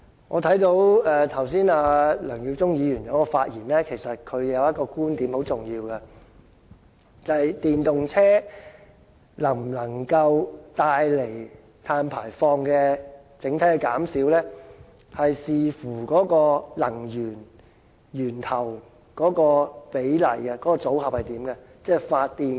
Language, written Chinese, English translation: Cantonese, 我剛才聽到梁耀忠議員的發言，其實他提出了一個很重要的觀點，就是電動車能否令整體減少碳排放，是要視乎能源、源頭的比例，組合的形式。, Mr LEUNG Yiu - chung has actually raised an important point in his speech that the effectiveness of EVs in reducing the overall carbon emissions depends on the energy sources the proportion of the fuels or the fuel mix for electricity generation